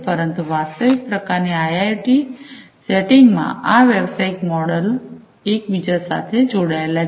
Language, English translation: Gujarati, But, in a real kind of IIoT setting, these business models are interlinked